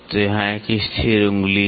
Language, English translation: Hindi, So, here is a fixed finger